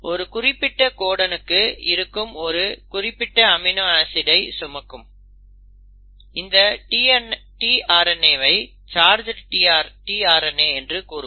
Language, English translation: Tamil, Now such a tRNA molecule which for a given codon carries that specific amino acid is also called as a charged tRNA